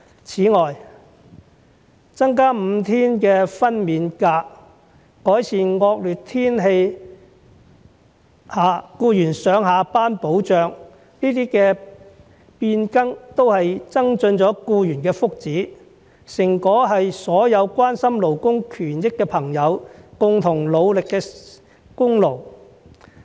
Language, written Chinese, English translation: Cantonese, 此外，增加5天的分娩假、改善惡劣天氣下僱員上下班的保障，這些變更都增進了僱員的福祉，成果是所有關心勞工權益的朋友共同努力的功勞。, Moreover changes such as the additional five days of maternity leave and improving protection for employees reporting for duty in times of adverse weather conditions have enhanced the well - being of employees . These have been the results of the joint efforts of all those who care about labour rights